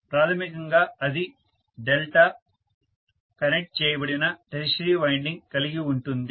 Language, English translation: Telugu, How will we connect this delta connected tertiary winding